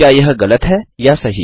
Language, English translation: Hindi, Is it True or False